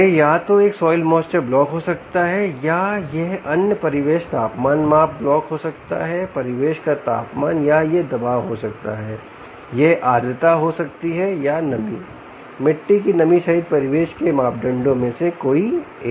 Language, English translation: Hindi, ok, it could either be a soil moisture block or it could be other ambient temperature measurement block, ambient temperature, or it could be pressure, it could be humidity or any one of the ambient parameters, including moist soil moisture